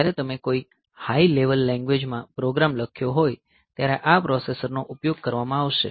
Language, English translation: Gujarati, So, this processor is going to be utilized, when you have written a program in some high level language